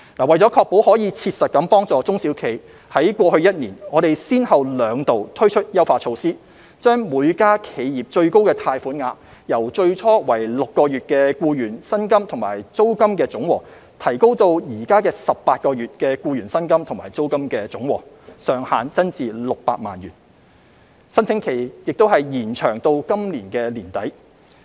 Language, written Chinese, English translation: Cantonese, 為確保可以切實幫助中小企，在過去一年，我們先後兩度推出優化措施，將每間企業最高貸款額，由最初訂為6個月的僱員薪金及租金的總和，提高至現時18個月的僱員薪金及租金的總和；上限增至600萬元，申請期亦已延長至今年年底。, In order to provide SMEs with practical help we have introduced two rounds of enhancement measures over the past year to raise the maximum amount of loan per enterprise from the total amount of employee wages and rents for 6 months to that for 18 months subject to a ceiling of HK6 million . The application period has been extended to late this year